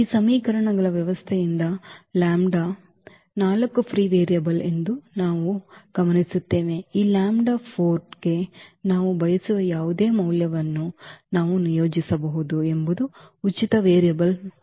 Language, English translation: Kannada, So, with these system of equations what we observe that lambda 4 is free variable; is free variable and meaning that we can assign whatever value we want to this lambda 4